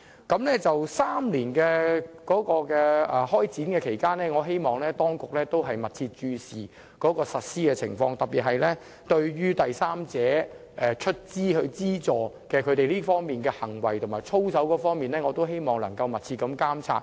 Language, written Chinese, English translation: Cantonese, 至於在為期3年的首段期間，我希望當局會密切注視實施情況，特別是對第三方資助的行為和操守，必須有密切監察。, During the initial period of three years I hope the authorities will pay close attention to the implementation particularly on the practice and integrity concerning third party funding . Close monitoring is a must